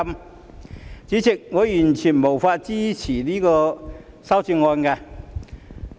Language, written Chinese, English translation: Cantonese, 代理主席，我完全無法支持這些修正案。, Deputy Chairman I cannot support such amendments at all